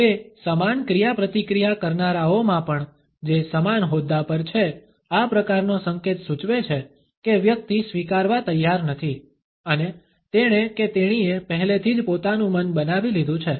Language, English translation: Gujarati, Even in those interactants who are on an equal footing, this type of gesture indicates that the person is not willing to concede and has already made up his or her mind